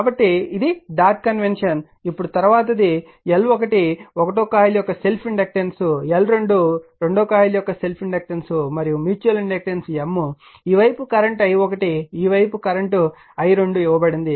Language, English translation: Telugu, So, dot convention now this one now next one will take this is your L 1 L 2 that inductance of coil self inductance of coil L 1 L 2, and mutual inductance M is given this side current is i1 this side is current is i 2